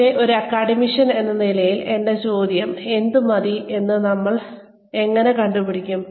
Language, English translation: Malayalam, But, my question as an academician is, how do we figure out, what is enough